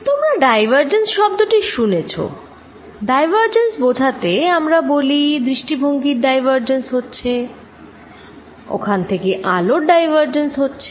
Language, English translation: Bengali, You heard the word divergent, divergence means we say views are diverging, there is diverging light rays coming